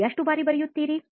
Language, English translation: Kannada, Just how frequently do you write